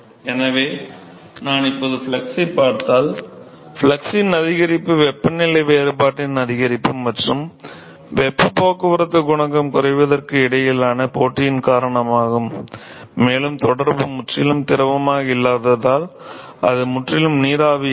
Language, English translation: Tamil, So, if I now look at the flux now the increase in the flux is because of competition between increase in the temperature difference versus decrease in the heat transport coefficient, and the decreases is because the contact is not completely fluid it is not completely vapor